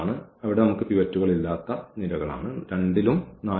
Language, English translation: Malayalam, So, here these are the columns where we do not have pivots